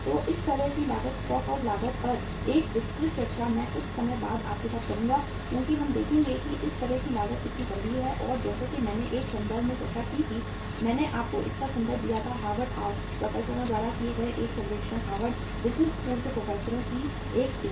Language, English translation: Hindi, So a detailed discussion on this kind of the cost, stock out cost I will have with you in the sometime later because we will see that how serious this kind of the cost is and as I discussed in a reference I gave you the reference of a survey conducted by the Harvard professors uh a team of the Harvard Business School professors